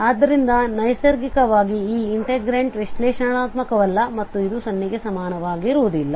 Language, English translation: Kannada, So naturally this integrant is not analytic and we do not have this as equal to 0